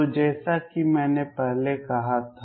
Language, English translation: Hindi, So, this as I said earlier